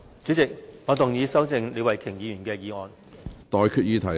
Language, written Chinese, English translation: Cantonese, 主席，我動議修正李慧琼議員的議案。, President I move that Ms Starry LEEs motion be amended